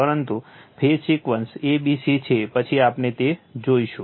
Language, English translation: Gujarati, But, phase sequence is a b c later we will see that right